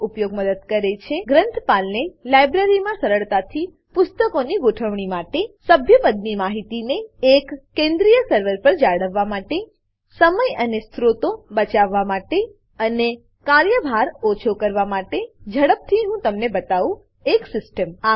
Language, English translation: Gujarati, The use of such a system helps The librarian to manage the books in the library easily To maintain membership information on one centralized server To save time and resources and To reduce the workload Now, let me quickly show you the system